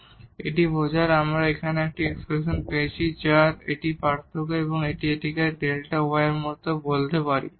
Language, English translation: Bengali, And, now this implies because we got this expression here that this difference or this is we can also call like delta y